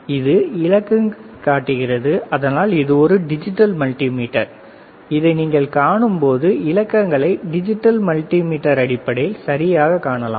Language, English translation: Tamil, So, these digits that is why it is a digital multimeter, digital right; when you can see this play you can see the readings right in terms of digits digital multimeter